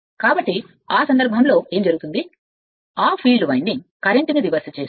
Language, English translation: Telugu, So, in that case what will happen as your, that your field winding current is reversed